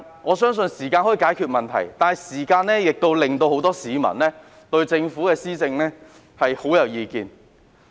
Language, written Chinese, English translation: Cantonese, 我相信時間可以解決問題，但時間亦導致很多市民對政府施政很有意見。, While I believe time is the solution to problems time has also attracted many strong views about the Governments administration